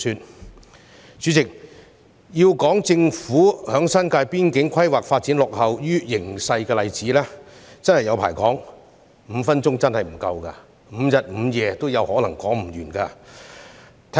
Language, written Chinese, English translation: Cantonese, 代理主席，要列舉政府在新界邊境規劃發展落後於形勢的例子，真的是不勝枚舉 ，5 分鐘發言時間真的不夠，可能5日5夜也說不完。, It should no longer impose its own bounds and mind its own business . Deputy President there are numerous examples which I can quote to illustrate that the Governments planning on development lags behind the times . While five minutes is surely inadequate even five days and nights will not be enough